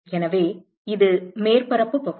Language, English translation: Tamil, So, that is the surface area